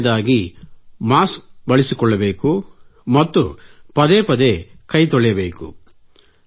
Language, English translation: Kannada, Secondly, one has to use a mask and wash hands very frequently